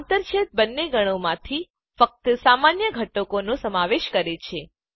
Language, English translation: Gujarati, The intersection includes only the common elements from both the sets